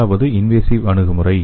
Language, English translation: Tamil, The first one is invasive approach